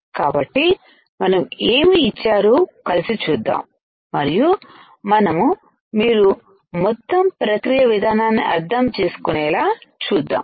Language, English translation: Telugu, So, let us see together what is given here, and we will see that you will understand the complete process flow